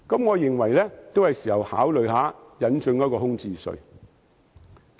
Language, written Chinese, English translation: Cantonese, 我認為現在是考慮引進空置稅的時候。, In my opinion it is now time to consider introducing a vacant residential property tax